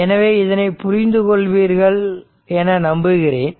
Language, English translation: Tamil, So, hope you have understood hope you are understanding this